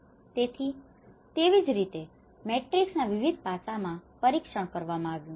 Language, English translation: Gujarati, So, like that the same matrix has been tested in different aspects